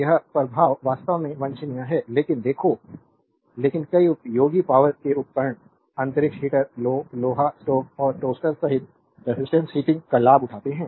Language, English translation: Hindi, This effect actually is not desirable, but look, but many useful electrical appliances take advantage of resistance heating including space heaters, irons stoves and toasters right